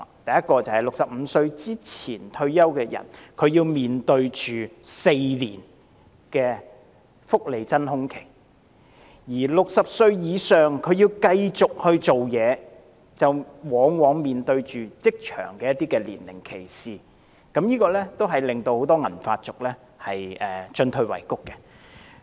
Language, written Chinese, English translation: Cantonese, 首先，在65歲前退休的人士要面對4年福利真空期；而60歲以上的人士如要繼續工作，往往會面對職場年齡歧視，這令很多銀髮族進退維谷。, On the one hand people retiring before 65 will face a welfare void of four years . On the other hand if people aged over 60 wish to continue to work very often they will face age discrimination in the job market . This puts many silver - haired people in a dilemma